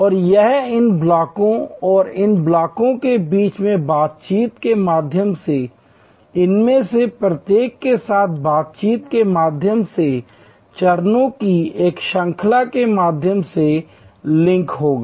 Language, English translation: Hindi, And this will be link through a series of steps through interactions with each of these, through interactions between these blocks and among these blocks